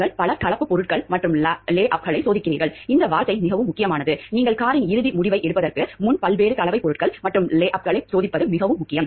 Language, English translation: Tamil, You test several composite materials and lay ups this word is also very important you test several different composite materials and layups before you come to the car final decision